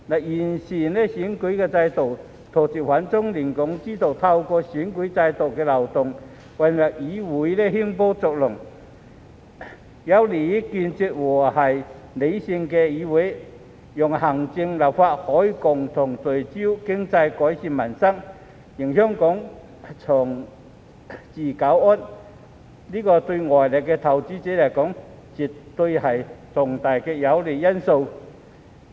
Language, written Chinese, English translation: Cantonese, 完善選舉制度，杜絕反中亂港之徒透過選舉制度漏洞混入議會興風作浪，有利於構建和平理性的議會，讓行政、立法可以共同聚焦經濟，改善民生，令香港長治久安，這對外來投資者而言絕對是重大有利因素。, Improving the electoral system and stopping those who oppose China and destabilize Hong Kong from infiltrating the legislature through the loopholes in the electoral system to stir up trouble will help build a peaceful and rational legislature so that the executive and the legislature can jointly focus on the economy and improve peoples livelihood for the sake of the long - term peace and stability in Hong Kong . As far as foreign investors are concerned it is absolutely a major favourable factor